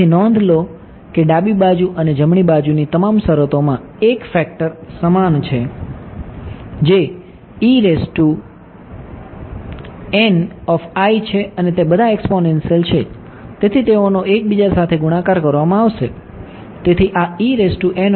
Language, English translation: Gujarati, So, notice that all the terms on the left hand side and the right hand side have one factor in common which is E n i there all exponential so there will be multiplied with each other